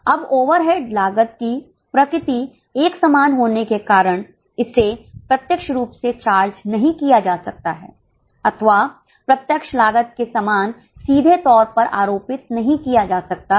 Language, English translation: Hindi, Now the overhead costs being common in nature cannot be charged directly or cannot be charged cannot be attributed directly like a direct cost